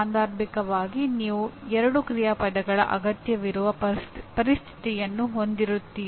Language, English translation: Kannada, Occasionally you will have a situation where two action verbs are required